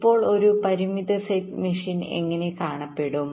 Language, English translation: Malayalam, so how does a finite set machine look like